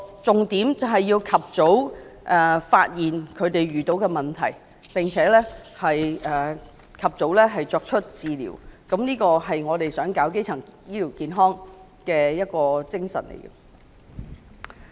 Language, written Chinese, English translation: Cantonese, 重點是要及早發現他們所遇到的問題並及早提供治療，這才符合提供基層醫療健康服務的精神。, The key is early identification of potential problems and provision of prompt treatment which tallies with the spirit of providing primary health care services